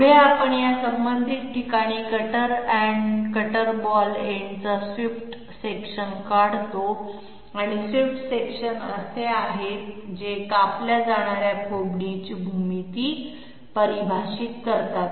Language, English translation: Marathi, Next we draw the swept section of the cutter end cutter ball end at these respective locations and swept sections are the once which define the geometry of the groove being cut